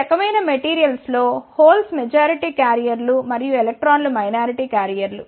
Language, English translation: Telugu, In these type of materials holes are the majority carriers and electrons are the minority carriers